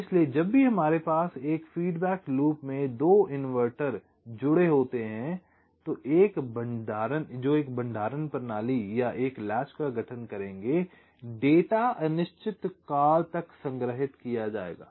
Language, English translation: Hindi, so whenever we have two inverters connected in a feedback loop that will constitute a storage system or a latch, the data will be stored in